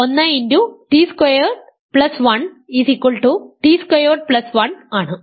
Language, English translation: Malayalam, 1 times t squared plus 1 is t squared plus 1